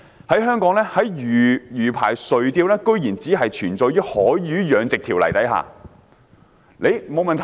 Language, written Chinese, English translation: Cantonese, 在香港，在魚排垂釣居然只是存在於《海魚養殖條例》的條文。, In Hong Kong it is surprising that the provisions related to fishing on mariculture rafts only exist in the Marine Fish Culture Ordinance